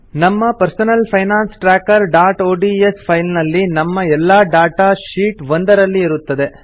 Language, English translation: Kannada, In our Personal Finance Tracker.ods file, our entire data is on Sheet 1